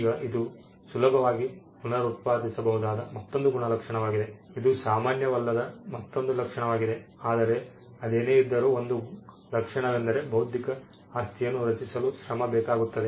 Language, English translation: Kannada, Now this is another trait that it can be reproduced easily, yet another trait which is not common, but nevertheless it is a trait is the fact that it requires effort to create intellectual property